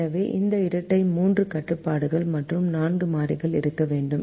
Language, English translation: Tamil, therefore, this dual should have three constrains and four variables